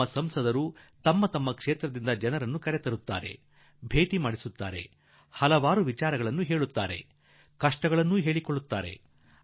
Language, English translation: Kannada, Our MPs also bring people from their constituencies and introduce them to me; they tell me many things, their difficulties also